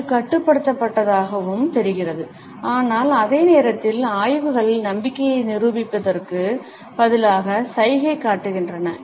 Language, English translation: Tamil, It looks contained and controlled, but at the same time, studies show that instead of demonstrating confidence